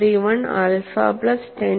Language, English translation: Malayalam, 231 alpha plus 10